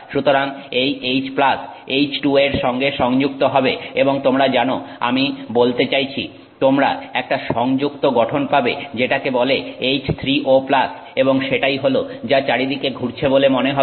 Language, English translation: Bengali, And so the H plus associates with the H2O and you get a more, you know, I mean associated structure called H3O plus and that is what seems to move around